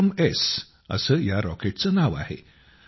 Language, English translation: Marathi, The name of this rocket is 'VikramS'